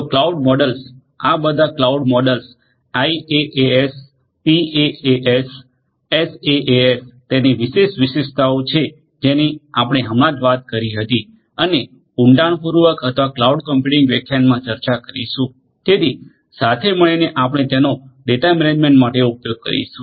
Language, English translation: Gujarati, So, cloud models all these cloud models IaaS, PaaS, SaaS along with it is different characteristics that we just spoke about and to be discussed at in depth in or the cloud computing lectures so, together we are going to use it for the data management